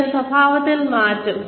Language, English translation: Malayalam, Then, change in behavior